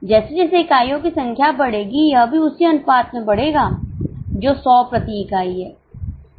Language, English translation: Hindi, As the number of units will increase, it will increase in the same ratio that is 100 per unit